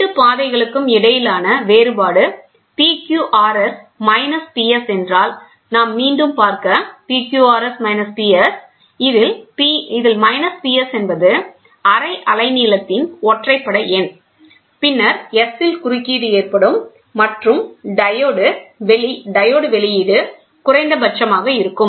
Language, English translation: Tamil, If the difference between the 2 paths is PQRS minus PS; let us go back, PQRS minus PQRS minus PS, minus PS is an odd number of half wavelength, then interference will occur at S and the diode output will be minimum